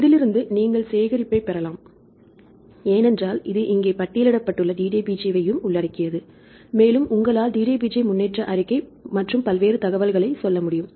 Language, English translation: Tamil, From this you can get this is the collection, because this is also includes the DDBJ this is listed here and you can say somewhere DDBJ progress report and various other information right